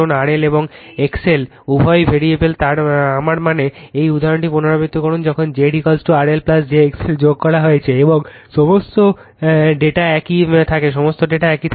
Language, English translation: Bengali, R L and X L are both variables I mean you repeat this example when Z is equal to your R L plus j x l added, and all data remains same, all data remains same right